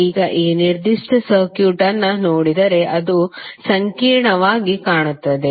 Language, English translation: Kannada, Now if you see this particular circuit, it looks complex